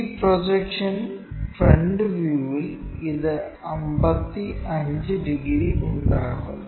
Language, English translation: Malayalam, It is projection on the front view makes 55 degrees